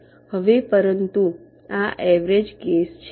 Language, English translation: Gujarati, now, but this is the average case